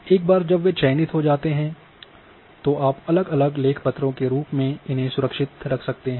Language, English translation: Hindi, Once they are selected you can save as a separate files